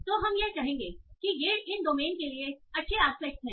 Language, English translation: Hindi, So that will say, okay, these are the good aspects for this domain itself